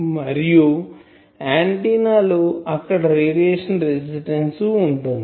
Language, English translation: Telugu, And then there will be that radiation resistance of the antenna